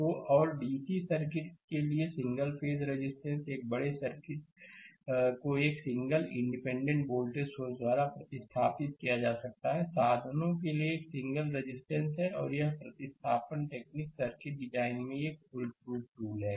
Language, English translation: Hindi, So, a large circuit can be replaced by a single independent voltage source and a single resistor for single resistor means for DC circuit right and this replacement technique is a powerful tool in circuit design, right